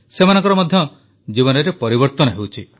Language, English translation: Odia, He is changing their lives too